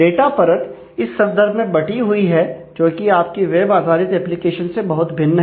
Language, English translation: Hindi, So, the data layer is split in this case, which is very different from how you do the web based applications